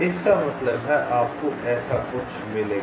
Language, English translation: Hindi, that means you will get something like this